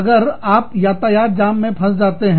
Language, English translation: Hindi, You get stuck in a traffic jam